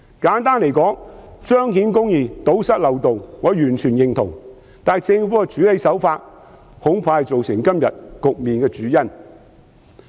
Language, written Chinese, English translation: Cantonese, 簡單而言，我完全認同彰顯公義、堵塞漏洞，但政府的處理手法恐怕是造成今天局面的主因。, In short I fully agree with the proposition of upholding justice and plugging the loopholes but I am afraid the handling approach adopted by the Government is probably the main cause of the situation today